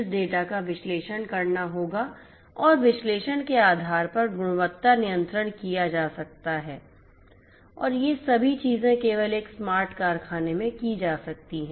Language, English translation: Hindi, This data will have to be analyzed and based on the analysis, quality control can be done and that is all of these things can be done only in a smart factory